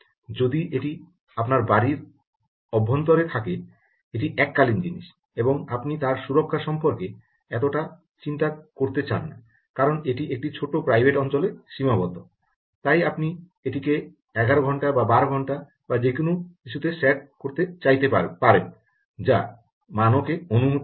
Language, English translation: Bengali, if it is inside your house its a one time thing and you dont want to worry so much about security because it is confined to a small private area then you may want to set it to ah, something like eleven hours or twelve hours or whatever the standard permits